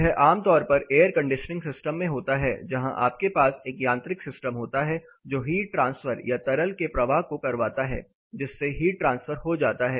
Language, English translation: Hindi, This is typically happening in air conditioning system where you have a mechanical system where you have a mechanical system forcing the heat transfer or forcing the flow of fluid on subsequently the heat transfer